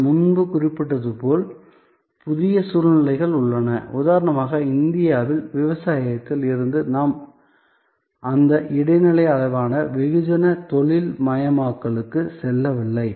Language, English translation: Tamil, There are new situations as I was little while back mentioning, that for example in India from agriculture we did not go through that intermediate level of mass industrialization